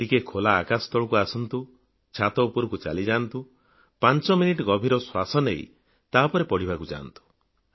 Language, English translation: Odia, Just be under the open sky, go to the roof top, do deep breathing for five minutes and return to your studies